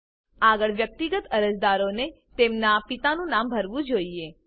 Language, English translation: Gujarati, Next, Individual applicants should fill in their fathers name